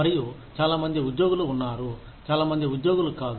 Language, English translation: Telugu, And, there are so many employees, so many people, not employees